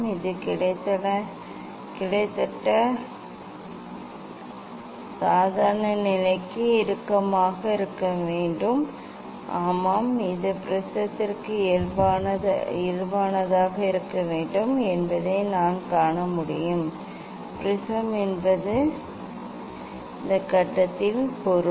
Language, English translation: Tamil, it is almost it will be close to the normal to the; yes, I can see it will be close to the normal to the prism; prism means on this phase